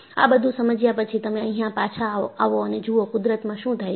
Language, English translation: Gujarati, After understanding, always, you come back and see, what happens in nature